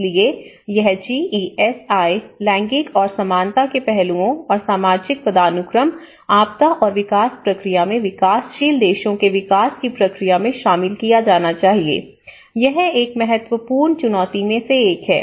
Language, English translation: Hindi, So, this GESI, how the gender aspects and the equality aspects and the social hierarchy, how they have to be included in the development process, in the disaster and development process is one of the important challenge in the developing countries